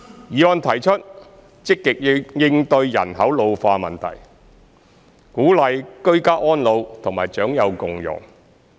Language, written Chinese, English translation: Cantonese, 議案提出積極應對人口老化問題，鼓勵居家安老和長幼共融。, The motion proposes to proactively cope with the ageing of population by encouraging ageing in place and inter - generational harmony